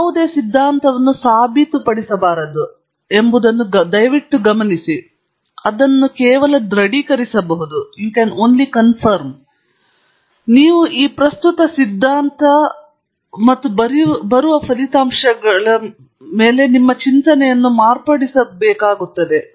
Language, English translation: Kannada, Please note that no theory can be proved; it can only be corroborated; you say that this is the theory current theory and as results come in you may have to modify your thinking